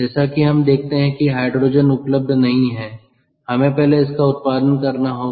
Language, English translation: Hindi, as we see that hydrogen is not available, we have to produce it first